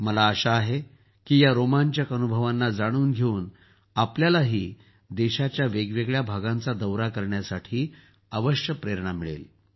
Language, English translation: Marathi, I hope that after coming to know of these exciting experiences, you too will definitely be inspired to travel to different parts of the country